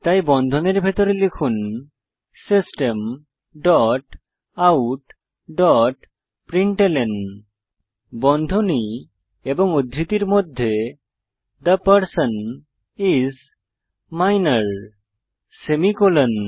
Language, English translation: Bengali, So Inside the brackets type System dot out dot println within brackets and double quotes The person is Minor semi colon